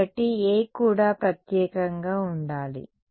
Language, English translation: Telugu, So, A also should be unique right